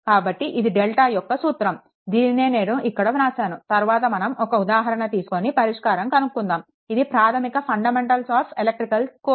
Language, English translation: Telugu, So, this is your delta, same thing is written here, next we will take the example we will solve it is a it is a basic fundamentals of electrical in course